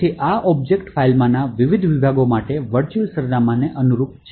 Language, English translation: Gujarati, So, this corresponds to the virtual address for the various sections within the object file